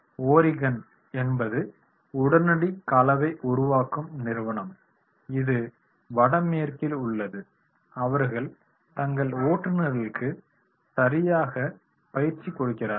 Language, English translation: Tamil, Oregon is one of only a few ready mix firms in the Northwest that provides the regular training for their drivers